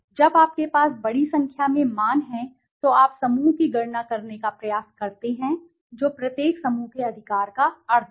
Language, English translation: Hindi, When the large number of values you have, you try to calculate the group mean right of each group